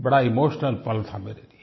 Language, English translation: Hindi, It was a very emotional moment for me